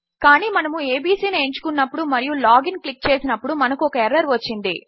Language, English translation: Telugu, But here when we choose abc and we click log in and we have got an error